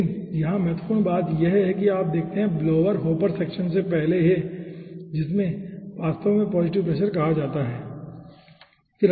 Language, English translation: Hindi, okay, but important point over here is that you see, blower is in the before the hopper section, which is called actually a positive pressure